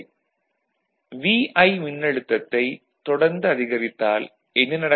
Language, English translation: Tamil, And if you keep increasing the voltage then what will happen